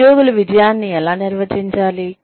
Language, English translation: Telugu, How do employees, define success